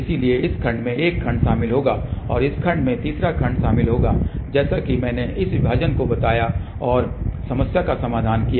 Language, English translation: Hindi, So, one segment will consist of this another segment will consist of this line and the third segment will consist of this line here, as I mentioned divided and solve the problem